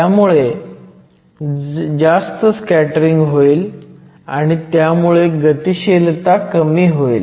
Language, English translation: Marathi, So, there is more scattering and hence the mobility will go down